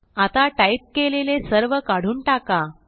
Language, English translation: Marathi, Remove all that we just typed